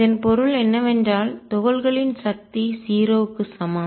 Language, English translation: Tamil, And what that means, is that the force on the particles is equal to 0